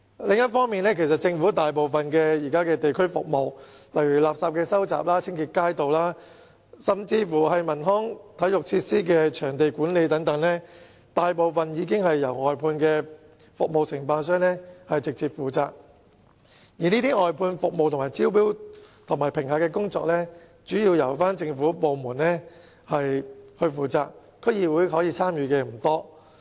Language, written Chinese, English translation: Cantonese, 此外，現時政府大部分的地區服務，例如收集垃圾、清潔街道，甚至是文康體育設施的場地管理等，大部分已經由外判服務承辦商直接負責，而外判服務的招標和評核工作，主要也是由政府部門負責，區議會可以參與的不多。, In addition at present the great majority of district services provided by the Government for example refuse collection street cleansing and even the management of leisure and sports facilities and venues are directly under the charge of outsourced service contractors and the tendering and evaluation of outsourced services are also mainly under the charge of government departments so there is little scope for involvement of DCs